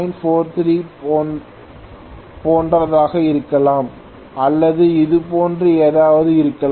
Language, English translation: Tamil, 43 or something like that